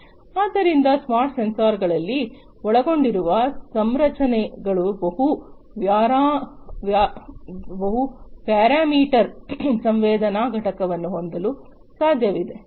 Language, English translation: Kannada, So, the configurations that are involved in the smart sensors are it is possible to have a multi parameter sensing unit